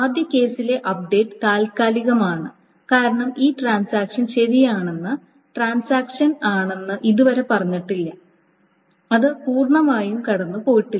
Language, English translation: Malayalam, So the update in the first case is a temporary because the transaction has not yet said that this update is correct and it has not gone through completely